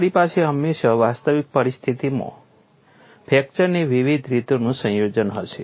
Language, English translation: Gujarati, You will always have combination of different modes of fracture in an actual situation